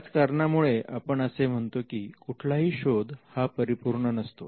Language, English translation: Marathi, For this reason, we say that no search is perfect